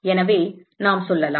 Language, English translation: Tamil, So, let us say